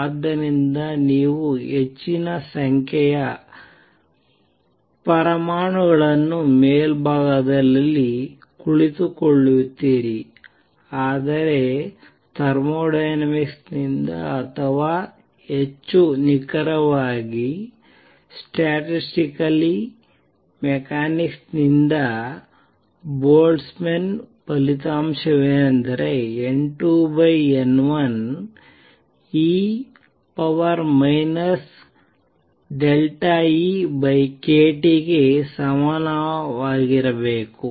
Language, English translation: Kannada, So, you will have large number of atoms sitting in the upper sate, but thermodynamically, but from thermodynamics or more precisely from the statistically mechanics Boltzmann result is that N 2 over N 1 should be equal to E raise to minus delta E over a T